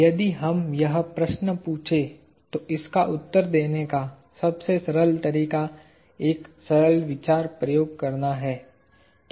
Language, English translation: Hindi, If we ask this question, the simplest way to answer this is to do a simple thought experiment